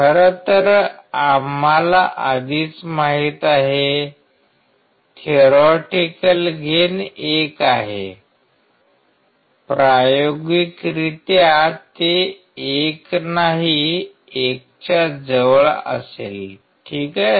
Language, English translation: Marathi, In fact, we have already known, the theoretical it is 1; experimentally it will be close to 1 not 1 all right